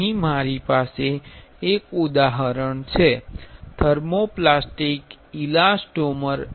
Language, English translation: Gujarati, Here I have an example, thermoplastic elastomer elastomers